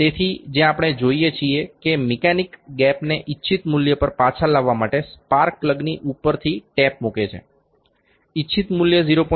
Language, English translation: Gujarati, So, what we see the mechanic put tap from the top of the spark plug to make bring the gap back to the desired value; desired value is 0